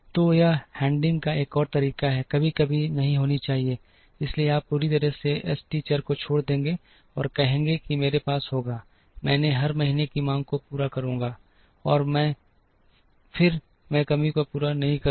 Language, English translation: Hindi, So, that is another way of handling, sometimes shortages should not be there, so you will leave out the s t variable completely and say that I will have, I will meet every months demand then and there, I will not meet the shortage